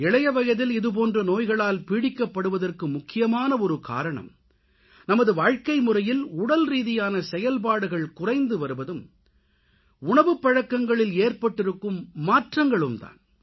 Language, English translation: Tamil, ' One of the main reasons for being afflicted with such diseases at a young age is the lack of physical activity in our lifestyle and the changes in our eating habits